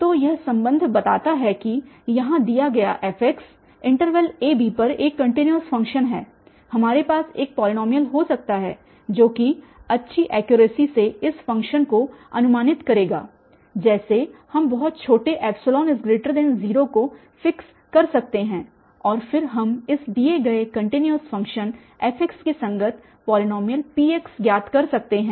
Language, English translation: Hindi, So, this relation tells that given f x here a continuous function on a, b we can have a polynomial which will approximate this function which as good accuracy as we want because epsilon we can fixed and it can be very very small and then we can find a polynomial Px corresponding to this given continues function fx